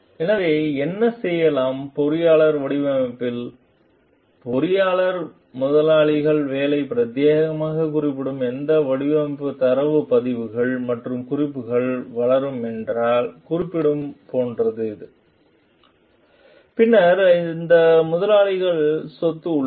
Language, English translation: Tamil, So, whatever the engineer is design which may be done, which is like referring if the engineer is developing any design data records and notes, which is referring exclusively to the employers work, then these are the employers property